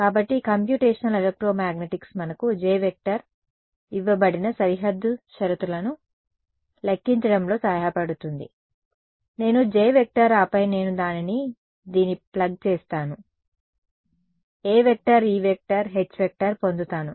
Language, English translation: Telugu, So, computational electromagnetics helps us to calculate what should be the J be given boundary conditions, I get J then I go back plug it into this get A get H get E